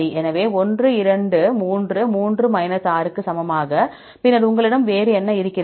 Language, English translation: Tamil, So, 1, 2, 3; 3 into equal to 6 and then what else you have